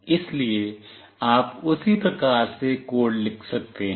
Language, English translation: Hindi, So, you can write the code accordingly